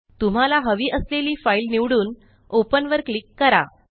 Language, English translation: Marathi, Select the file you want to open and click Open